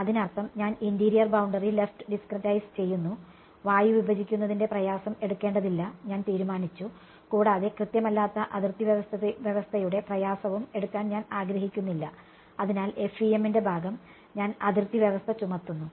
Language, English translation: Malayalam, That means, I discretize the interior boundary left is what, I have decided I do not want to pay the price of discretizing air and I do not want to pay the price of inexact boundary condition; so, the part of the FEM, where I impose the boundary condition